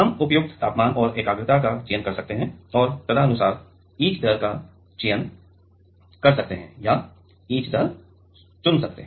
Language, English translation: Hindi, We can select suitable temperature and concentration and accordingly can select the etch rate or can chooses the etch rate